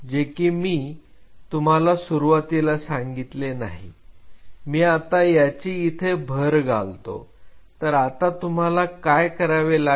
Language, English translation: Marathi, So, which I did not in the beginning told you now I am adding them what do you do